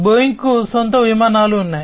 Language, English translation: Telugu, Boeing has its own aircrafts